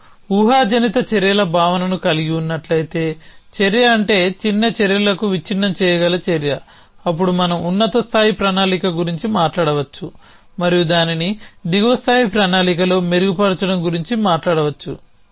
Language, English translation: Telugu, If you have this notion of hypothetical actions which means action which can decomposition in to smaller actions then we can talk about high level plan and then refining it in to lower level plan